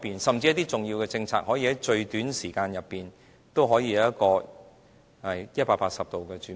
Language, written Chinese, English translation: Cantonese, 甚至一些重要的政策，可以在最短的時間裏180度轉變？, It can easily shift its policies the other way around within a short time even if these are important policies